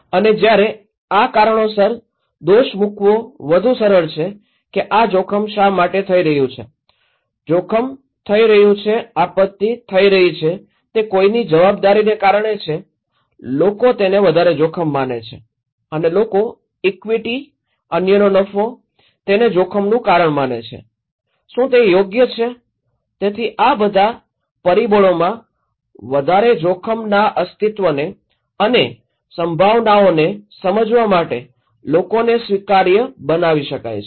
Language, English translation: Gujarati, And when it is more easy to blame the reason that why this risk is happening, risk is taking place, disaster is taking place is because of someone’s responsibility people consider this as more higher risk and believe the cause of risk okay, is it unfair, equity, profit of others